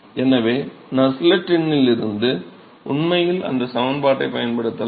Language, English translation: Tamil, So, from Nusselt number we can actually use that expression